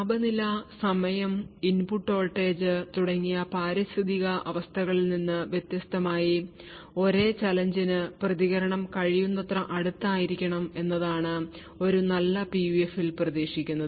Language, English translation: Malayalam, So, what is expected for a good PUF is that independent of these environmental conditions like temperature, time and input voltage, the response should be as close as possible for the same challenge